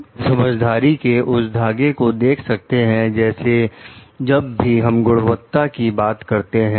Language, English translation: Hindi, We can see the thread of understanding like whenever we are talking of quality